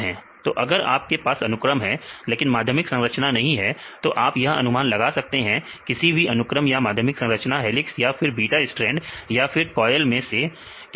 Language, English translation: Hindi, So, if you have this sequence and if you do not know about this secondary structure, you can predict whether in particular segment this can form helix or can beta strand or it is a coil